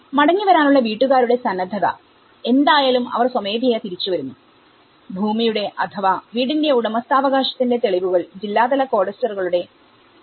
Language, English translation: Malayalam, Willingness of household to return, so however, they are coming back with voluntarily they are coming back, evidence of land or house ownership which was readily available in district level cadastres